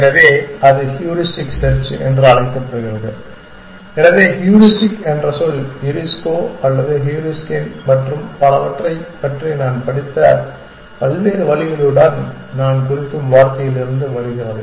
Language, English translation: Tamil, So, that is called as heuristic search, so the word heuristic comes from the word I mean with their various routes that I have read about, so Eurisko or Heuriskein and so on